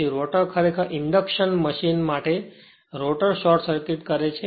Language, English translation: Gujarati, So, rotor actually for induction machine right rotor are short circuited right